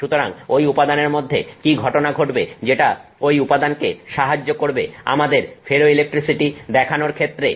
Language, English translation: Bengali, So, what is that phenomenon that is happening inside that material that helps that material demonstrate ferroelectricity to us